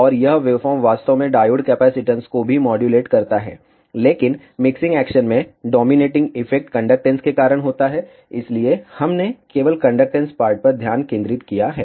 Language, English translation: Hindi, And this wave form actually also modulates the diode capacitance, but in the mixing action, the dominating effect is because of the conductance, so we have focused only on the conductance part